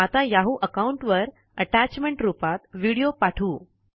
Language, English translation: Marathi, Now, lets send a video as an attachment to the Yahoo account